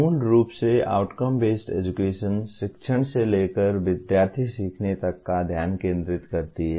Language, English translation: Hindi, Fundamentally, Outcome Based Education shifts the focus from teaching to student learning